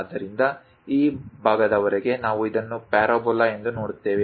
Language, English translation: Kannada, So, up to this portion, we see it as a parabola